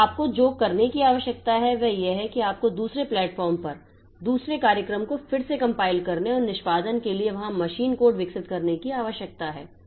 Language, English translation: Hindi, So, what you need to do is that you need to compile the program again at the second at the second platform and develop the machine code there for execution